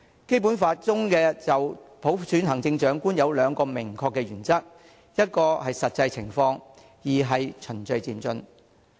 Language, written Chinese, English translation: Cantonese, "《基本法》中就普選行政長官有兩個明確的原則，一是根據實際情況，二是循序漸進。, The Basic Law stipulates two explicit principles concerning the election of the Chief Executive by universal suffrage namely in the light of the actual situation and in accordance with the principle of gradual and orderly progress